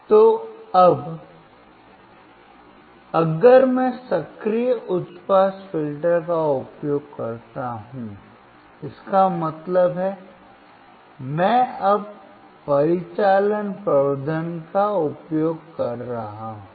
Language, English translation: Hindi, So, this becomes my active high pass filter with amplification, how amplification